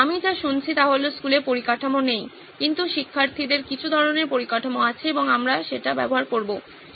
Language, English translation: Bengali, What I am hearing is that schools do not have the infrastructure, but students do have some kind of infrastructure and we will use that